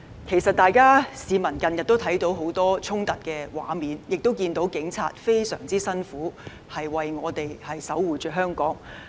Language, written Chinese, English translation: Cantonese, 其實市民近日看到很多衝突的畫面，亦看到警察非常辛苦工作，為我們守護香港。, Recently people have actually seen many images of conflicts as well as the hard work undertaken by the Police to protect Hong Kong for us